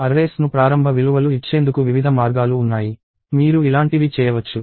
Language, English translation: Telugu, There are various ways to initialize arrays; you can do something like this